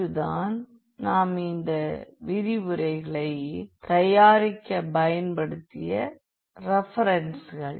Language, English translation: Tamil, So, these are the references we have used for preparing the lectures and